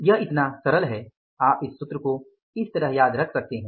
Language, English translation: Hindi, So, simple you can you can remember these formulas like this